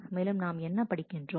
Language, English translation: Tamil, And what are we reading